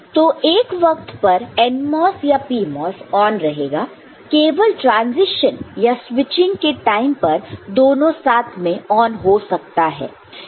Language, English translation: Hindi, So, at any given point of time we have got either a PMOS or NMOS on and only during in a transition or the switching, both of them can become on, ok